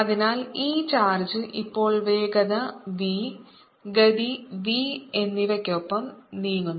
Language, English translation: Malayalam, so this charge now is moving with speed b, with velocity v